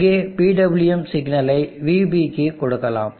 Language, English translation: Tamil, And let me give the PWM signal to VB here